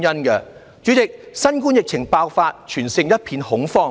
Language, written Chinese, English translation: Cantonese, 代理主席，新冠疫情爆發，全城一片恐慌。, Deputy President the city has been in a state of fear since the COVID - 19 epidemic broke out